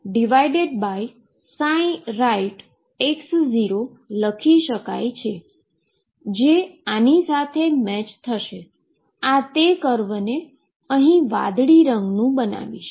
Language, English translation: Gujarati, So, this will make it make the curve to be this blue one right